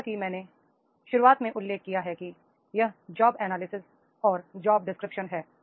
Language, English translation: Hindi, That is the job, as I mentioned in the beginning, that is job analysis and job description